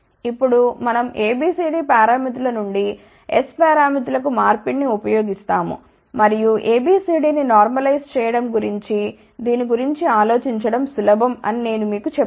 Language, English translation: Telugu, Now, we use the conversion from A B C D parameters to S parameters and I had mentioned to you easier way to remember think about this as normalize A B C D